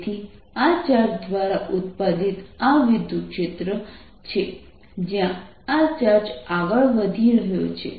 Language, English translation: Gujarati, so this is electric field produced by this charge, for this charge is moving, so r